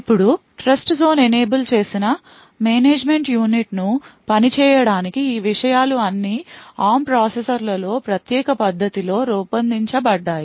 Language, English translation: Telugu, Now in order to make these things to work the memory management unit in Trustzone enabled ARM processors is designed in a special way